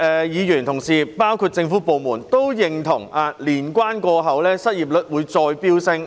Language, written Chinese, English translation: Cantonese, 議員和政府當局都認同年關過後，失業人數會進一步增加。, Members and the Administration both anticipated a further increase in the number of unemployed persons after the Lunar New Year